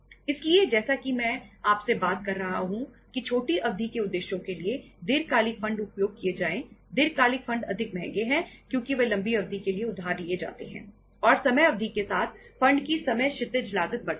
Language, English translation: Hindi, So as I am talking to you that the long term funds to be used for the short term purposes, long term funds are more costly, more expensive because they are borrowed for a longer period of time and with the time period, time horizon cost of the funds increases